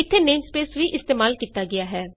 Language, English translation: Punjabi, namespace is also used here